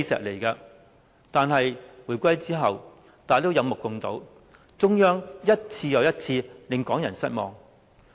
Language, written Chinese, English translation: Cantonese, 可是，回歸之後，大家有目共睹，中央一次又一次令港人失望。, Following the reunification we have witnessed how the Central Authorities have disappointed Hong Kong people time and again